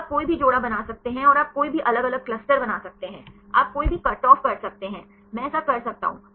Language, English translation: Hindi, So, you can make any pairs and you can make any different clusters, you can do any cutoff; I can do that